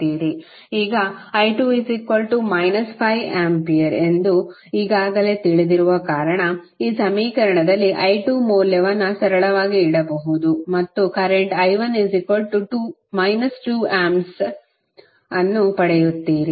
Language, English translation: Kannada, Now, since we have already know that i 2 is equal to minus 5 ampere you can simply put the value of i 2 in this equation and you will get current i 1 as minus 2 ampere